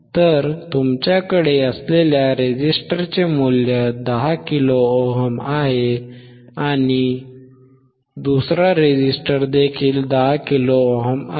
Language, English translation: Marathi, So, what is the value of resistor that you have is 10 k 10 k and the another resistor is